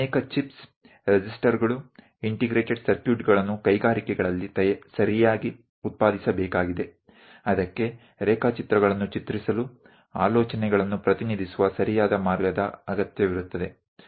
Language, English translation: Kannada, Many chips, resistors, integrated circuits have to be properly produced at industries that requires careful way of drawing sketches, representing ideas